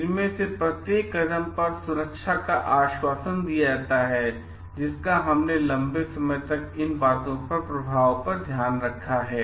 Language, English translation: Hindi, Safety is assured at each of this steps we have taken care of the long term effect impact of these things